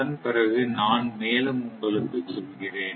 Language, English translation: Tamil, So, after that I will tell you something more